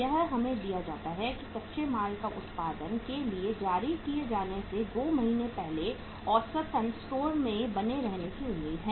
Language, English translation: Hindi, It is given to us uh raw material is expected to remain in store on an average for a period of how much time, 2 months before these are issued for production